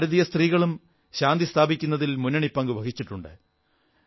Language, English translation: Malayalam, Indian women have played a leading role in peace keeping efforts